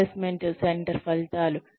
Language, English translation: Telugu, Assessment center results